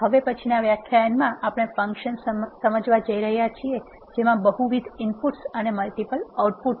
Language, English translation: Gujarati, In the next lecture we are going to explain the functions which are having multiple inputs and multiple outputs